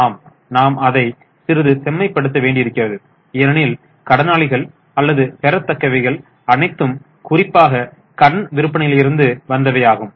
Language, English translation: Tamil, But we need to refine it a bit because daters or receivables are mainly from credit sales